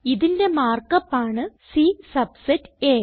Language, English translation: Malayalam, The mark up for this is C subset A